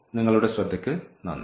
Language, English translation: Malayalam, And thank you for your attention